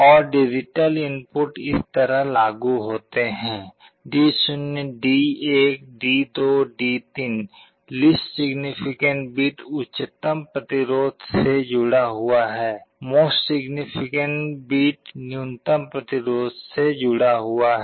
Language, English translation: Hindi, And the digital inputs are applied like this: D0 D1 D2 D3, least significant bit is connected to the highest resistance; most significant bit is connected to the lowest resistance